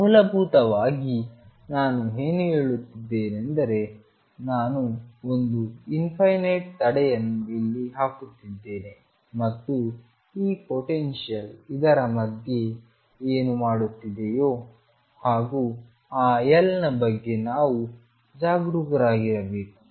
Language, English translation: Kannada, In essence what I am saying is I am putting infinite barrier here and whatever the potential does in between what I have to be careful about is that L, this is let us say minus L this is plus L, L is large enough